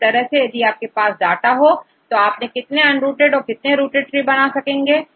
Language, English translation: Hindi, Likewise if we have two data, how many rooted trees and how many unrooted trees